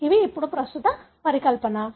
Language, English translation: Telugu, These are now the current hypothesis